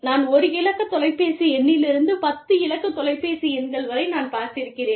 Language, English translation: Tamil, When i was growing up, I have seen phone numbers, from 1 digit phone number to 10 digit phone numbers